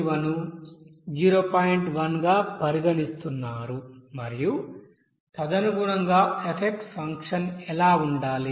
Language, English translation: Telugu, 1 and accordingly what should be the function f will come